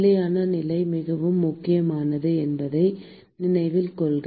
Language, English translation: Tamil, Note that steady state is very important